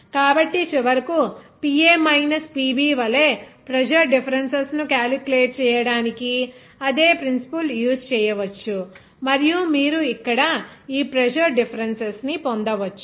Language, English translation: Telugu, So, finally, the same principle you can use in this problem to calculate the pressure differences as PA minus PB and you can get this equation and finally, you can get this pressure difference here